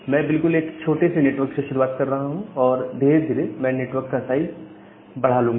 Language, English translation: Hindi, So, I am I am just starting from a very small network then gradually I will increase the network in size